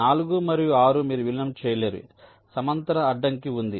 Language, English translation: Telugu, four and six: you cannot merge, there is a horizontal constraint